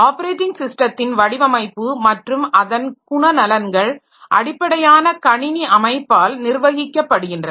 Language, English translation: Tamil, So, many a time so the operating system design and its behavior is governed by the underlying computer system organization